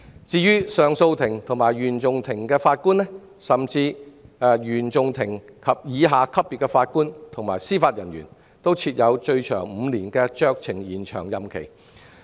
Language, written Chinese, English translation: Cantonese, 至於上訴法庭及原訟法庭的法官，以及原訟法庭以下級別的司法人員，均設最長5年的酌情延長任期。, As for Judges of CA and CFI as well as Judicial Officers below the CFI level their term of office may be extended for a maximum of five years